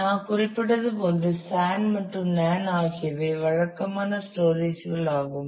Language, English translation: Tamil, We will just mentioned that these are the typical storages the SAN and NAN are the typical storages